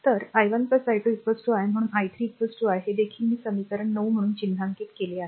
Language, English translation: Marathi, So, i 1 plus i 2 is equal to i therefore, i 3 is equal to i, this is also I have marked as equation 9